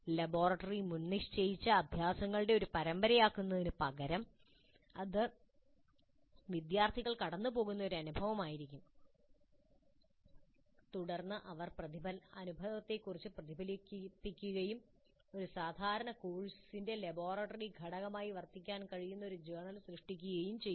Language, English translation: Malayalam, Instead of the laboratory being a series of predefined exercises, it can be an experience through which the students go through and then they reflect on the experience and create a journal and that can serve as the laboratory component of a regular course